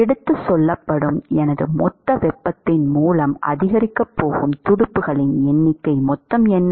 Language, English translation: Tamil, What is the total number of fins that is going to maximize by my total amount of heat that is transported